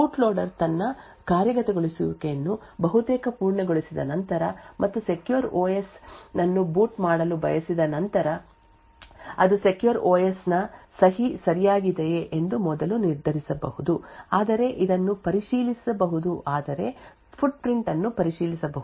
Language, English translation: Kannada, After the boot loader is nearly completing its execution and would want to boot the secure OS it could first determine that the signature of the secure OS is correct this can be verified but checking the footprint or by computing the signature of the secure OS present in the flash and verifying this particular signature with a stored signature